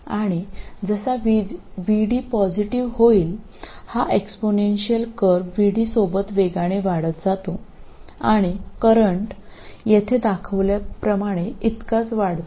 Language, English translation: Marathi, And as VD becomes positive, this exponential grows rapidly with VD and the current increases rather steeply